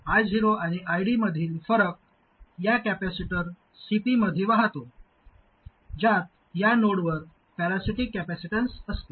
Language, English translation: Marathi, The difference between I 0 and I D flows into this capacitor CP which consists of the parasitic capacitance at this node